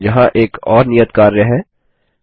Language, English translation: Hindi, Here is another assignment: 1